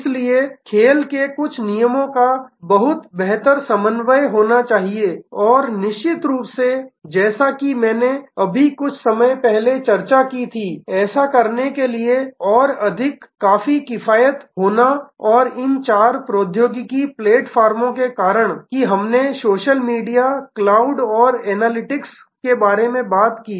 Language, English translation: Hindi, So, there has to be much better coordination much better adherence to certain rules of the game and that of course, as I discussed a little while back is now, becoming more economic to do and more real time to do, because of these four technology platforms, that we talked about social media, cloud and analytics